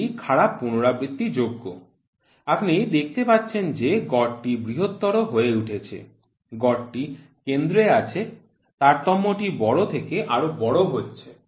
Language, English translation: Bengali, This is poor repeatability, you see the mean is becomes larger, the mean is at the center the variation is becoming larger and larger and larger